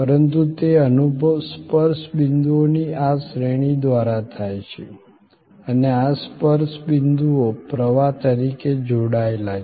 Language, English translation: Gujarati, But, that experience happens through these series of touch points and this touch points are linked as a flow